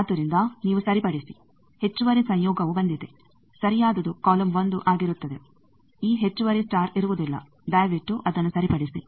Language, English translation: Kannada, So, you correct there is a extra conjugate came, the correct one will be column 1, this extra star would not be there please correct it